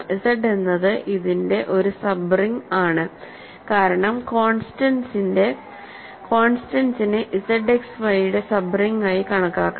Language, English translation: Malayalam, The point is Z is a sub ring of this right because, constants can be viewed has sub ring of Z X Y for sure and then you are killing X Y